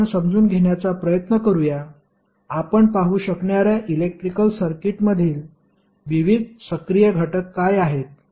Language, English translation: Marathi, Now, let us try to understand, what are the various circuit elements in the electrical circuit you will see